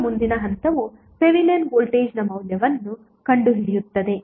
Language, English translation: Kannada, Now next step is finding out the value of Thevenin Voltage